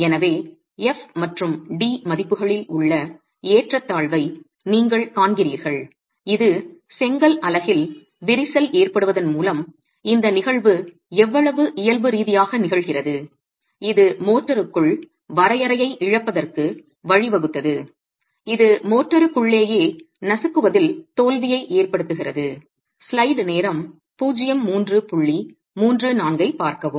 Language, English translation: Tamil, So, you see the disparity in the values of FND which do not give us clarity on how physically the phenomenon is occurring with the cracking in the brick unit leading to loss of confinement in the motor causing crushing failure in the motor itself